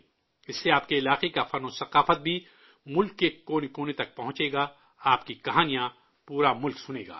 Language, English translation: Urdu, Through this the art and culture of your area will also reach every nook and corner of the country, your stories will be heard by the whole country